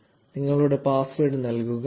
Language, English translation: Malayalam, So, enter your password